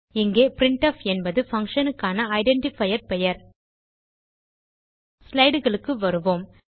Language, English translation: Tamil, Here, printf is the identifier name for this function Come back to our slides